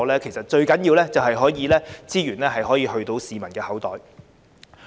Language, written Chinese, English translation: Cantonese, 因此，最重要的是資源能夠落入市民的口袋。, Therefore it is most important that the resources can go into the peoples pockets